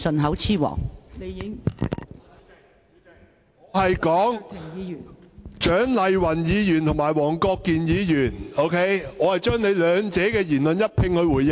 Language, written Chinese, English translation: Cantonese, 代理主席，我剛才只是就蔣麗芸議員和黃國健議員的言論一併回應。, Deputy President what I just gave was only a consolidated response to the comments by Dr CHIANG Lai - wan and Mr WONG Kwok - kin